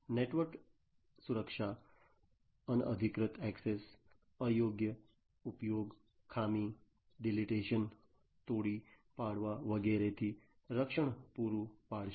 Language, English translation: Gujarati, So, network security would provide protection from unauthorized access, improper use, fault, deletion, demolition, and so on